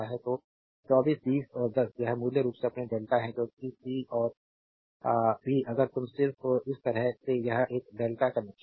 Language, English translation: Hindi, So, 24 20 and 10 this is basically your delta because c and b if you just make like this it is a delta connection